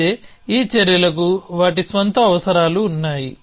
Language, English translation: Telugu, But off course, these actions have their own requirements